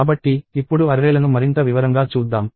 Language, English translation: Telugu, So, let us go and look at arrays in more detail now